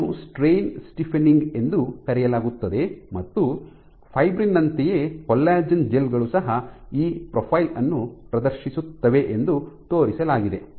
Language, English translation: Kannada, So, this is called strain stiffening, this is called strain stiffening and for fibrin similar to fibrin collagen gels also have been shown to exhibit this profile